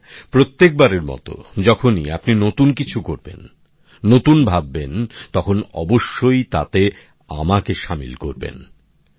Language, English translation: Bengali, And yes, as always, whenever you do something new, think new, then definitely include me in that